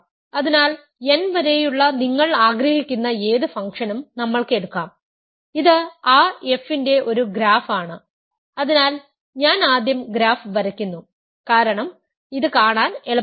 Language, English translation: Malayalam, So, we can simply take any function you want up to n, this is a graph of that f so I am drawing the graph first because it is easy to see